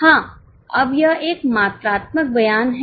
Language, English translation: Hindi, Yes, now it is a quantitative statement